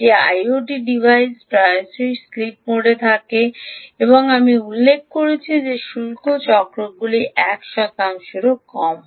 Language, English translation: Bengali, the i o t device often is in sleep mode and, as i mentioned, the duty cycles are less than one percent